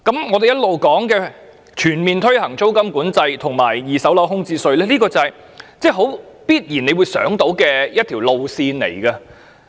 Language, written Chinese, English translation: Cantonese, 我們經常提及的全面推行租金管制及二手樓宇空置稅，是大家必然想到的一條路線。, The full implementation of rent control and vacancy tax in the secondary market that we have always been mentioning is a direction that everyone could think of